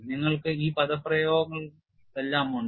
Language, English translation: Malayalam, We have all these expressions